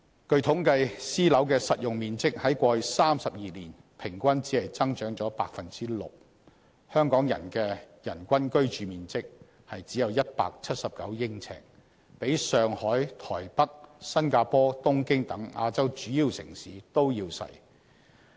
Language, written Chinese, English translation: Cantonese, 據統計，私樓的實用面積在過去32年平均只增長 6%， 香港的人均居住面積只有179呎，比上海、台北、新加坡、東京等亞洲主要城市都要細。, According to statistics the saleable area of private housing has only increased by 6 % on average over the past 32 years . The average living space per person in Hong Kong is only 179 sq ft which is smaller than that in other major Asian countries such as Shanghai Taipei Singapore and Tokyo